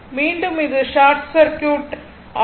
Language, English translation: Tamil, So, this is short circuit